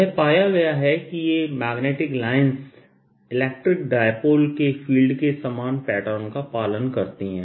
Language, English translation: Hindi, what is found is that these magnetic lines pretty much follow the same pattern as the field due to an electric dipole